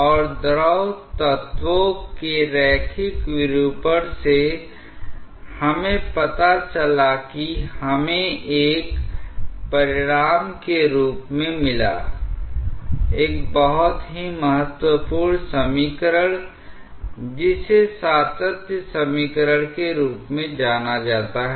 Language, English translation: Hindi, And from the linear deformation of the fluid elements we found out that we got as a consequence, a very important equation known as the continuity equation